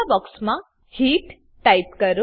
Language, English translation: Gujarati, Type Heat in the green box